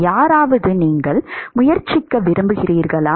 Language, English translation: Tamil, Anyone, you want to try